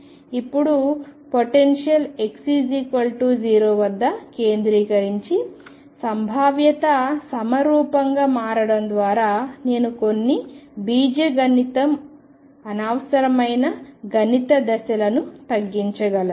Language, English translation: Telugu, Now by shifting the potential in such a manner that centralized at x equal 0 and the potential becomes symmetry I can reduce some algebra unnecessary mathematical steps